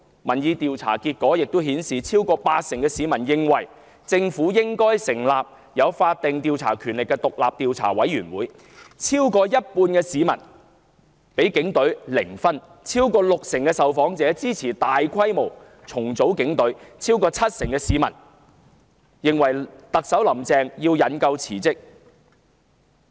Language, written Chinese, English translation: Cantonese, 民意調查結果顯示，逾八成市民認為政府應成立有法定調查權力的獨立調查委員會；逾一半市民對警隊的信任評分為零；逾六成受訪者支持大規模重組警隊，超過七成市民認為"林鄭"特首須引咎辭職。, The results of public opinion surveys show that over four fifths of the public think the Government should form an independent commission of inquiry vested with statutory powers of inquiry; over half of them rate their confidence in the Police Force at zero; over 60 % of the respondents support a sweeping restructuring of the Police Force and over 70 % of the public think Chief Executive Carrie LAM should take the blame and resign